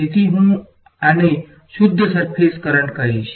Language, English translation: Gujarati, So, I will call this the pure surface current all right